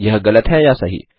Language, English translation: Hindi, Is it True or False